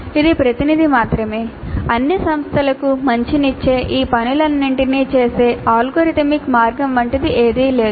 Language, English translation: Telugu, There is nothing like an algorithmic way of doing all these things which holds good for all institutes